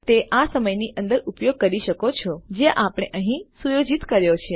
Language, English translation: Gujarati, And you could use it within this time that we have set here